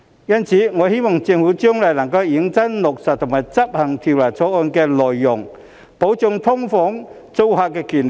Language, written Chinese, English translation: Cantonese, 因此，我希望政府將來能認真落實和執行《條例草案》的內容，保障"劏房"租客的權利。, Hence I hope the Government can seriously implement and execute the contents of the Bill in the future so as to protect the rights of SDU tenants